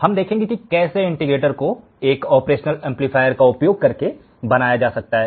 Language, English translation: Hindi, In this particular module, we will see how the integrator can be designed using an operational amplifier